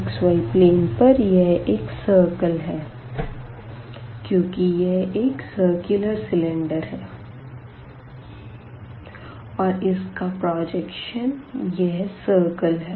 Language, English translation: Hindi, So, this projection on the xy plane is nothing, but the circle because it was a circular cylinder and the projection is given as here by this circle